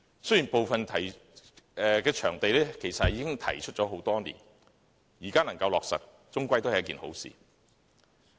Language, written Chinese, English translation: Cantonese, 雖然部分場地的要求其實已提出多年，現在能夠落實，總算是好事。, Although the demands for some venues were raised many years ago it is after all a good thing for these proposals to be put into implementation now